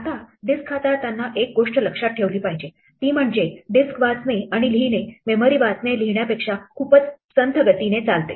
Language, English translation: Marathi, Now, one thing to keep in mind when dealing with disks is that disk read and write is very much slower than memory read and write